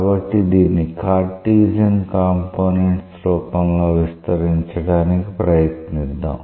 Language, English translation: Telugu, So, let us try to expand it in terms of its Cartesian components